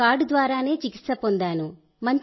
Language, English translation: Telugu, I have been treated by the card itself